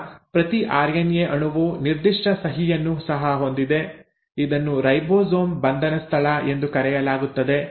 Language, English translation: Kannada, So now each RNA molecule also has a specific signature which is called as the ribosome binding site